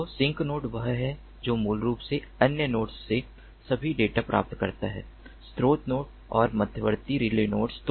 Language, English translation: Hindi, so sink node is the one which basically gets all the data from the other other nodes, the source nodes and the intermediate relay nodes